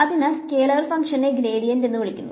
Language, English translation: Malayalam, So, scalar function this is called the gradient